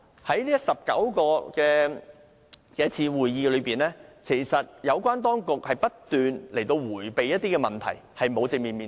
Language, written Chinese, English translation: Cantonese, 在19次會議中，有關當局不斷迴避一些問題，並無正面面對。, At the 19 meetings held the authorities have kept evading some questions and have failed to face them squarely